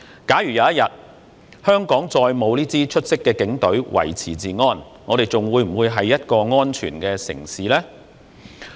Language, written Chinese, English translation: Cantonese, 假如有一天，香港再沒有這支出色的警隊維持治安，我們仍會是安全的城市嗎？, If one day we no longer have such an outstanding Police Force maintaining law and order will Hong Kong still be a safe city?